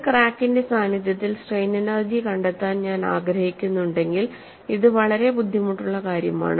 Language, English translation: Malayalam, See, if I want to find out strain energy in the presence of a crack, it is a very difficult task to do